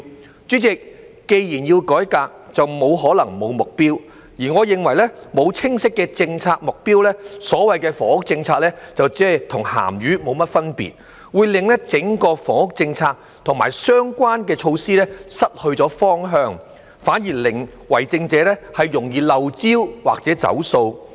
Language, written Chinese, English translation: Cantonese, 代理主席，既然要改革，便不可能沒有目標，而我認為沒有清晰的政策目標，所謂的房屋政策就"同鹹魚無分別"，會令整個房屋政策及相關的措施失去方向，反而令為政者容易"漏招"或"走數"。, Deputy President since it is necessary to carry out a reform it is impossible not to have an objective and I think without a clear policy objective the so - called housing policy is virtually hollow and useless . This will cause the entire housing policy and the related measures to lose their direction while the Government may prone to oversights or renege on its promises